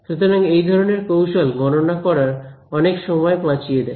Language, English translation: Bengali, So, these kinds of tricks, they help us to save a lot of computational time right